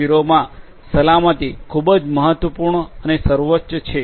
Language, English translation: Gujarati, 0 safety is a very important consideration